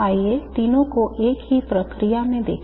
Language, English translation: Hindi, Let's write all the three in one and the same process